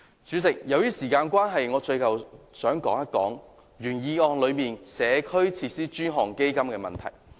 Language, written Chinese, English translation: Cantonese, 主席，由於時間關係，最後我想談談原議案內"社區設施的專項基金"的問題。, President due to time constraints the last thing that I wish to discuss is about the dedicated fund for enhancement of community facilities as stated in the original motion